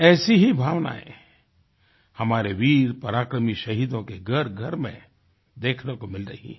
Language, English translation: Hindi, Similar sentiments are coming to the fore in the households of our brave heart martyrs